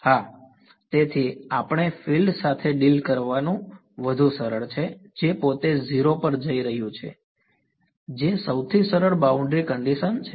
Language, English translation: Gujarati, Yeah; so, we will it is simpler to do deal with field which is itself going to 0 that is the simplest boundary condition right